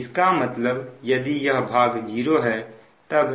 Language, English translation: Hindi, so that means that this part is zero